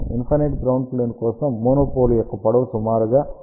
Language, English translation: Telugu, For infinite ground plane length of the monopole should be approximately lambda by 4